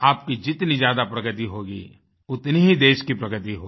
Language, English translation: Hindi, The more you progress, the more will the country progress